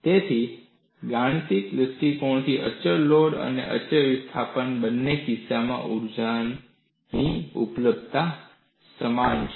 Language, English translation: Gujarati, So, from a mathematical perspective, the energy availability in the case of both constant loading and constant displacement is same